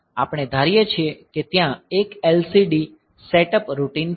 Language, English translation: Gujarati, So, we assume that there is an LCD setup routine